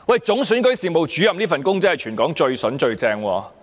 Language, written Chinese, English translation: Cantonese, 總選舉事務主任這職位真是全港最棒的"筍工"。, Being the Chief Electoral Officer CEO is really the best plum job in Hong Kong